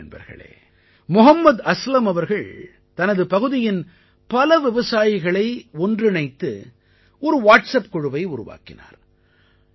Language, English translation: Tamil, Friends, Mohammad Aslam Ji has made a Whatsapp group comprising several farmers from his area